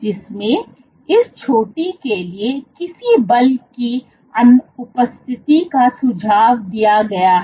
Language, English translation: Hindi, Which suggests So, the absence of any force for this peak